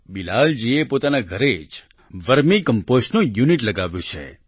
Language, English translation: Gujarati, Bilal ji has installed a unit of Vermi composting at his home